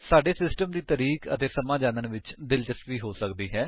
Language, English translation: Punjabi, We may be interested in knowing the system date and time